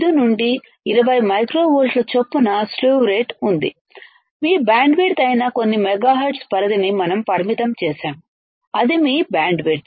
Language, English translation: Telugu, 5 to 20 micro 20 volts per microsecond, we have limited few megahertz range that is your bandwidth, that is your bandwidth